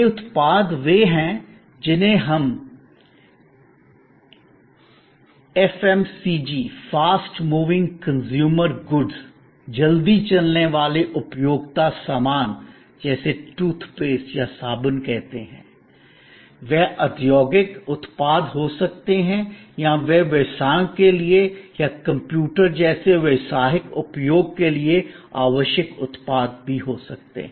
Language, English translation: Hindi, These products could be what we call FMCG, Fast Moving Consumer Goods like toothpaste or soap, they could be industrial products or they could be products required for businesses or for professional use like a computer and so on